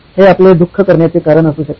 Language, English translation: Marathi, These could be your reason for suffering